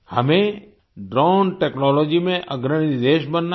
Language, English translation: Hindi, We have to become a leading country in Drone Technology